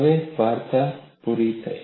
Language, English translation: Gujarati, Now, the story is complete